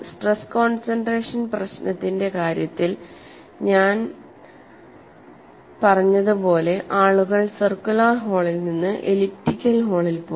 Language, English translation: Malayalam, As I said earlier, in the case of stress concentration problem people graduated from circular hole to elliptical flaw